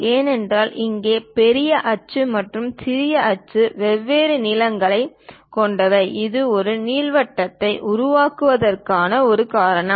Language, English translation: Tamil, Because here the major axis and the minor axis are of different lengths, that is a reason it forms an ellipse